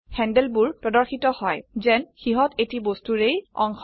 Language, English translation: Assamese, The handles appear as if they are part of a single object